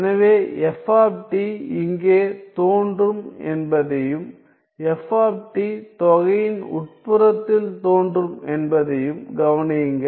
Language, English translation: Tamil, So, notice that f of t appears here and also f of t appears inside the integral right